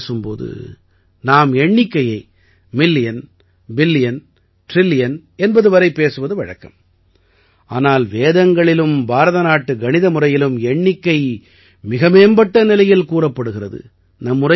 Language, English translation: Tamil, In common parlance, when we talk about numbers and numbers, we speak and think till million, billion and trillion, but, in Vedas and in Indian mathematics, this calculation goes much further